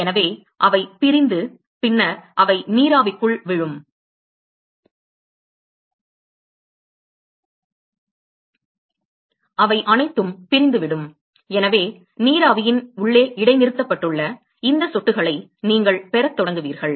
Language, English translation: Tamil, So, they will detach and then they will drop into the vapor; they will all detach and so, now, you will start having these drops which are suspended inside the vapor